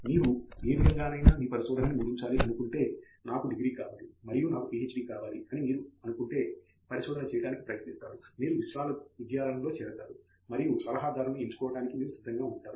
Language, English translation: Telugu, If you end up trying to do research, if you just say that I want a degree and I want a PhD degree and you just go join a university and you just pick up whichever advisor is willing to pick you up